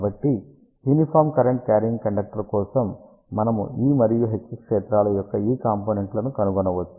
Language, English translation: Telugu, So, for the uniform current carrying conductor, we can find out these components of E and H fields